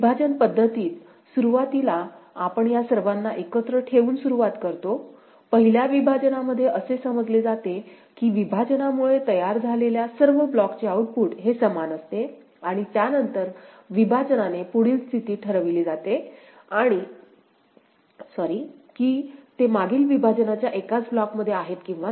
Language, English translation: Marathi, In partitioning method, initially we begin with all of them put together, the first partition considers the output is identical for blocks formed due to partition and subsequent partition considers the next state ok, whether they lie in single block of previous partition or not ok